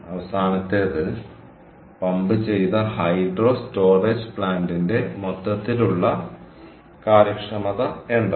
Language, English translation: Malayalam, last one was: what is the overall efficiency of the pumped hydro storage plant